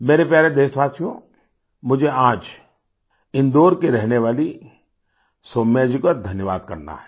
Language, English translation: Hindi, My dear countrymen, today I have to thank Soumya ji who lives in Indore